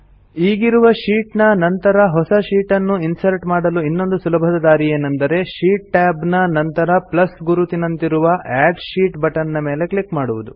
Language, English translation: Kannada, Another simple way of inserting a sheet after the current sheet is by clicking on the Add Sheet button, denoted by a plus sign, next to the sheet tab